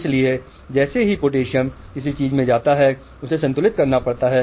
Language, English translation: Hindi, So, as potassium goes in something has to balance, the sodium is pumped out